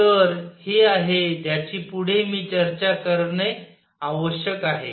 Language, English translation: Marathi, So, this is I am going to need to discuss next